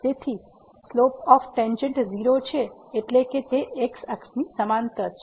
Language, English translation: Gujarati, So, the slope of the tangent is meaning it is parallel to the